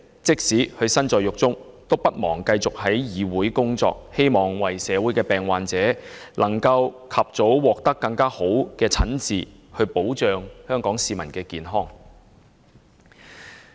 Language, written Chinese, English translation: Cantonese, 即使身在獄中，也不忘繼續議會的工作，為的是希望為病患者能盡早獲得較佳診治，讓香港市民的健康得到保障。, Although he is in prison now he never forgets about his duties as a Member of this Council and continues with his work in the hope that local patients will be able to receive better treatment as soon as practicable so that our health can be safeguarded